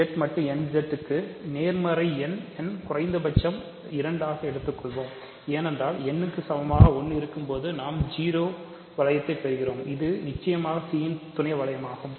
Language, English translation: Tamil, For n positive Z mod n Z let us say n at least 2, because n equal to 1 we get the 0 ring, that is a certainly a sub ring of C